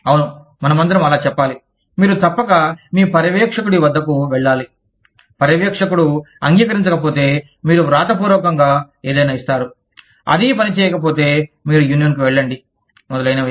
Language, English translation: Telugu, Yes, we all say that, you must go to your supervisor, if the supervisor does not agree, then you give something in writing, if that does not work, then, you go to a union, etcetera